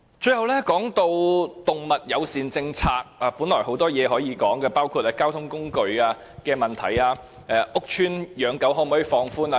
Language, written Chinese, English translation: Cantonese, 最後，關於動物友善政策的問題，本來有很多事情可以討論，包括動物乘搭交通工具及放寬屋邨養狗的問題。, Last but not least with regard to animal - friendly policies the discussion may cover many other issues which include the travelling of pets on public transport and relaxing the restriction on pet - keeping in public rental housing PRH estates